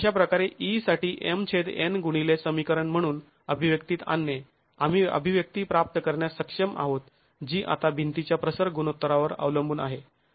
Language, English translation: Marathi, So, bringing in an expression for E as m by n into this equation, we are able to get an expression which now depends on the aspect ratio of the wall